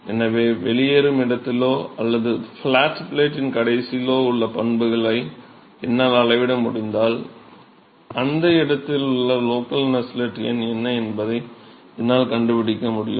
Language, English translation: Tamil, So, if I can measure the properties at the exit or at the end of the flat plate, then I should be able to find out what is the local Nusselt number at that location